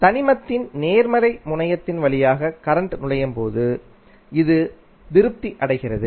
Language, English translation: Tamil, It is satisfied when current enters through the positive terminal of element